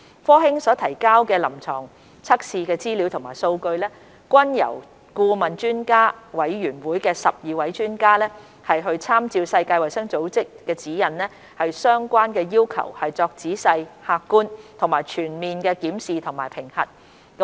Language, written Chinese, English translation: Cantonese, 科興所提交的臨床測試資料和數據，均由顧問專家委員會12位專家參照世衞指引的相關要求作仔細、客觀和全面的檢視及評核。, The information and data of the clinical trials submitted by Sinovac have been examined and assessed in a thorough objective and holistic manner by the 12 experts of the Advisory Panel with reference to the relevant requirements of WHO guidelines